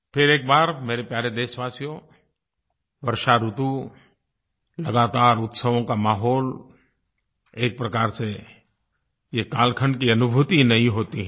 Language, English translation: Hindi, My dear countrymen, let me mention once again, that this Season of Rains, with its abundance of festivals and festivities, brings with it a unique new feeling of the times